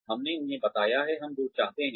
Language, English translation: Hindi, We have told them, by when we wanted